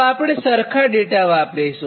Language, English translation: Gujarati, will use the same data